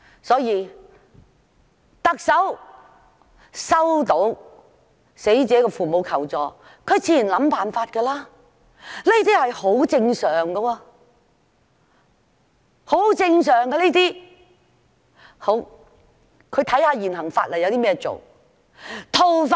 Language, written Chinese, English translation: Cantonese, 所以，當特首收到死者父母求助時，她自然便會想辦法，這是很正常的，她會看看依照現行法例可以怎樣做。, Therefore when the Chief Executive received a request for help from the deceaseds parents she naturally tried to find a solution . This is normal and she looked at what she could do in accordance with the existing laws